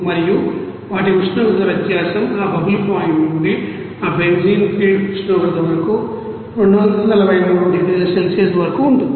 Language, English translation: Telugu, And their temperature difference of course will be from that bubble point to that you know benzene feed temperature up to 243 degrees Celsius